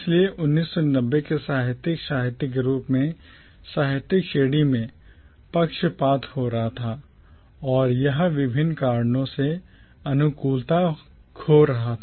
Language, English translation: Hindi, So by the 1990’s commonwealth literature as a literary category was losing favour and it was losing favour for various different reasons